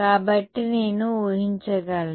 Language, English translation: Telugu, So, I can assume that